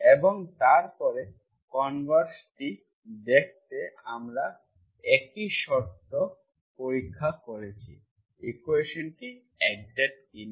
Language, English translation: Bengali, And then to see the converse, if you check that condition, the same condition whether the equation is exact or not